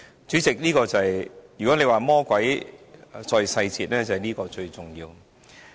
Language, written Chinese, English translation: Cantonese, 主席，如果你說魔鬼在細節，這就是最重要的。, Chairman if you say the devil is in the details it is the most significant one